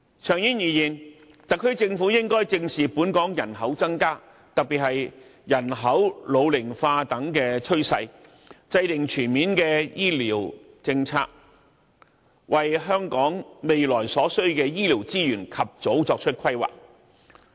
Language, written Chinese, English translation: Cantonese, 長遠而言，特區政府應該正視本港人口增加，特別是人口老齡化等趨勢，制訂全面的醫療政策，為香港未來所需的醫療資源及早作出規劃。, In the long term the Government should address our population growth in particular the trend of ageing population by formulating a comprehensive healthcare policy to make early planning for the healthcare resources required in the future